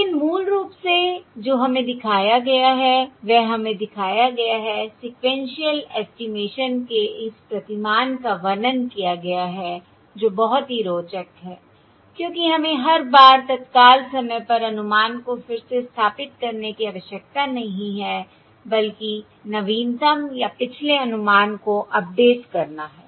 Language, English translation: Hindi, But basically what weve shown is: weve shown, described this paradigm of sequential estimation, which is very interesting because we dont need to recompute the estimate at every time instant, rather simply update the latest or the previous estimate